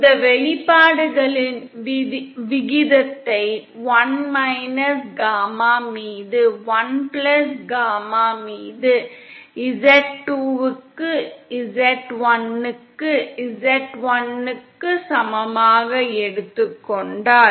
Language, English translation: Tamil, And if we then take the ratio of these expressions that comes out to 1 gamma in upon 1+gamma in equal to z1 upon z2 upon…